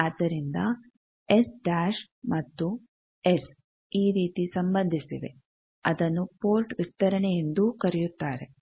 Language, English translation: Kannada, So, S dash and S is related by these called port extension